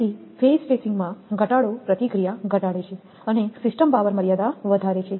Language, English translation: Gujarati, So, reduction in phase spacing reduces the reactance and the system power limits are higher